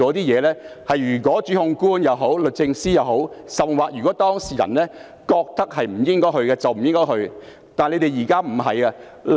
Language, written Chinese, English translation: Cantonese, 如果檢控官、律政司甚或當事人覺得不應該繼續，便應該停止。, If the prosecutor the Department of Justice or the client thinks that a case should not be pursued all actions should be stopped